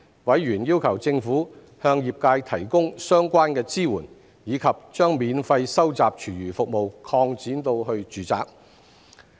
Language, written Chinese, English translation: Cantonese, 委員要求政府向業界提供相關支援，以及將免費收集廚餘服務擴展至住宅。, Members has requested that the Government provide the trade with relevant support and expand the free food waste collection service to residential premises